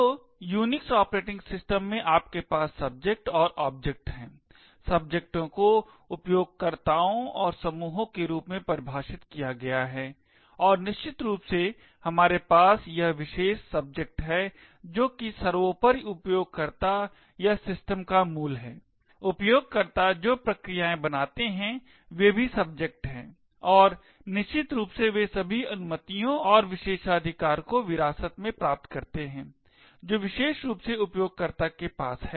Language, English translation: Hindi, So in Unix operating system you have subjects and objects, subjects are defined as users and groups and of course we have this special subject which is the superuser or the root of the system, processes that a user creates are also subjects and essentially they inherit all the permissions and privileges that particular user has